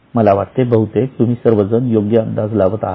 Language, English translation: Marathi, I think most of you are guessing it correctly